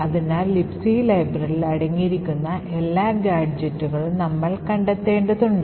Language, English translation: Malayalam, So, we need to find all the gadgets that the libc library contains